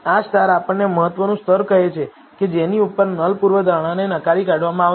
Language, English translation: Gujarati, These stars tell us the significance level above, which the null hypothesis will be rejected